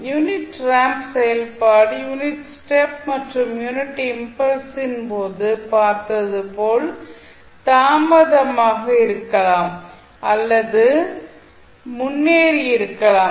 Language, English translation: Tamil, The unit ramp function maybe delayed or advanced as we saw in case of unit step and unit impulse also